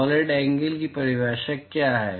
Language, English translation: Hindi, what is the definition of solid angle